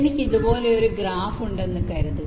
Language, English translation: Malayalam, suppose i have a graph like this